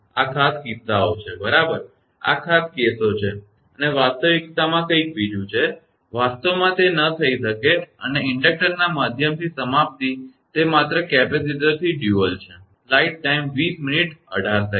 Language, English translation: Gujarati, These are special cases right these are special cases and in the reality is something else, in reality it may not happen and termination through inductor it is just dual of capacitor